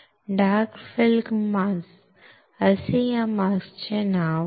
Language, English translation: Marathi, The name of this mask is dark field mask